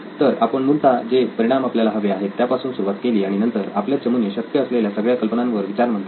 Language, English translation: Marathi, So we started with the basic results that we wanted, desired results that we wanted and then the team started brainstorming on what all possible ideas there could be